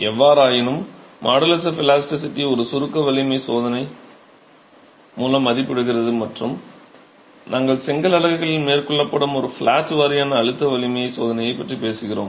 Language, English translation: Tamil, However, the modulus of elasticity is estimated through a compressive strength test and we were talking about a flatwise compressive strength test that is carried out on brick units